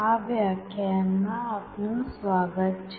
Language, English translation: Gujarati, Welcome to the next lecture